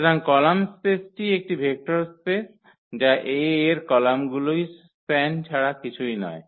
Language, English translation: Bengali, So, column space is a vector space that is nothing but the span of the columns of A